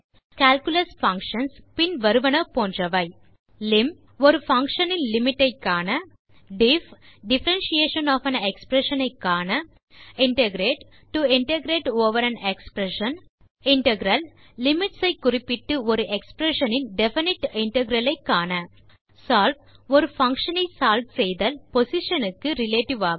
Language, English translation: Tamil, Use functions for calculus like lim() to find out the limit of a function diff() to find out the differentiation of an expression integrate() to integrate over an expression integral() to find out the definite integral of an expression by specifying the limits br solve() to solve a function, relative to its position